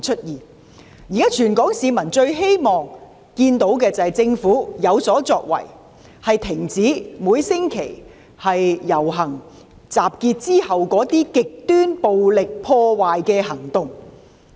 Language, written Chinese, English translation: Cantonese, 現時，全港市民最希望見到政府有所作為，停止每星期在遊行集結後出現的極端暴力破壞行為。, At present the earnest hope of all people of Hong Kong is that the Government can be proactive to stop acts of extreme violence and vandalism that have taken place after the marches and assemblies every week